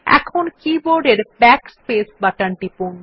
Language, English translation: Bengali, Now press the Backspace button on the keyboard